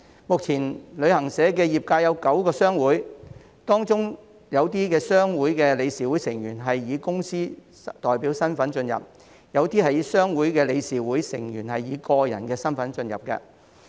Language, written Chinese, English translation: Cantonese, 目前旅行社業界有9個商會，當中有些商會的理事會成員是以公司代表身份加入，有些商會的理事會成員則是以個人身份加入。, At present there are nine trade associations in the travel agency industry . While some trade associations admit board members in the capacity of corporate representatives some others admit board members in their individual capacity